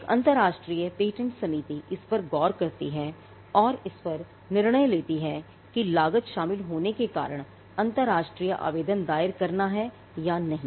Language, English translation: Hindi, An international patent committee looks into this and takes the decision on whether to file an international application simply because of the cost involved